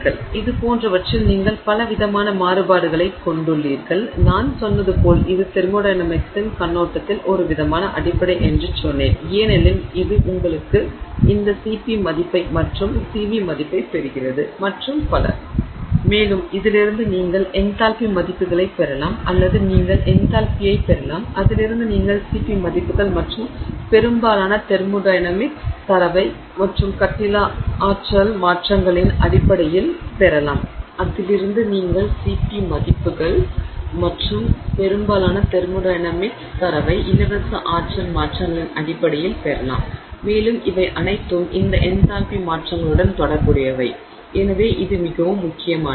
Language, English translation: Tamil, So, like this you have a lot of different variations and as I said this is kind of fundamental from the perspective of thermodynamics because it gets you this CP value, CV value and so on from which you can get the enthalpy values or you can get enthalpy and from that you can get the CP values and much of the thermodynamic data that you get in terms of free energy changes and so on are all related to this enthalpy changes and therefore this is very important so to summarize what we discussed with respect to the calory metry calorie measures heat changes associated with the reaction so that's the first thing that we want to keep in mind that it measures heat changes associated with the reaction